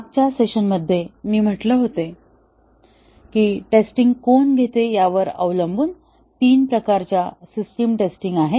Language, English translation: Marathi, Actually we had said so far, in the last session that there are three types of system testing, depending on who carries out the testing